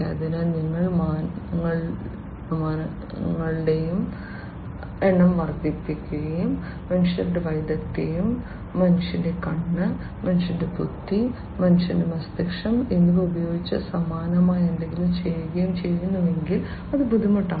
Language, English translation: Malayalam, So, if you are increasing the number of dimensions and doing something very similar using the human expertise and human eye, human intelligence, human brain, that is difficult